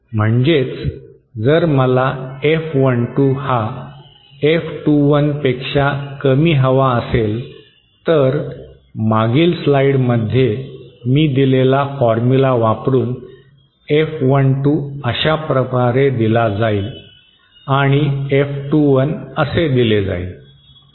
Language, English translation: Marathi, That is, if I want to have Let us say F12 lesser then F21 then F12 just from the formula that I gave in the previous slide will be given like this and F21 will be given like this